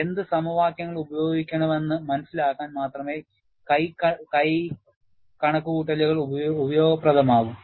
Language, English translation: Malayalam, Hand calculations are useful, only for you to understand what equations to use